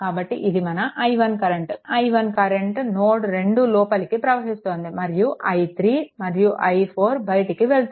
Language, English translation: Telugu, So, this is your i 1; i 1 current is entering right into this into node 2 and i 3 and i 4 are leaving